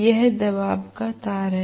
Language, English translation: Hindi, This is the pressure coil